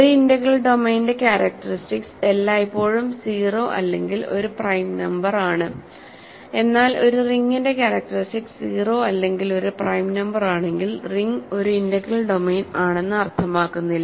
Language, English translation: Malayalam, So, characteristic of an integral domain is always either 0 or a prime number, but if a ring has characteristic 0 or a prime number does not mean that ring is an integral domain ok